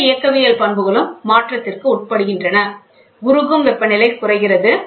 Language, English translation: Tamil, Thermodynamic properties also undergo a sea change, melting points go down